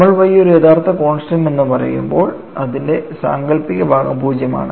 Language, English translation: Malayalam, When you say Y as a real constant, it is imaginary part is 0